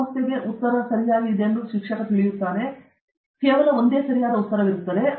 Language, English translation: Kannada, And the teacher knows the has the answer to the problem, and there is only one correct answer to that